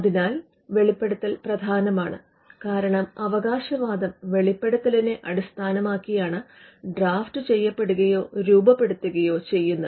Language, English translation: Malayalam, So, this the disclosure is important because the claims are drafted or carved out of the disclosure